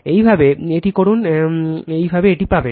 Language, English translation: Bengali, If you do so, same way you will get it